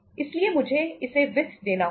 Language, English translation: Hindi, So I have to finance it